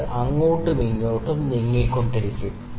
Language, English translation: Malayalam, It would just keep on moving here and there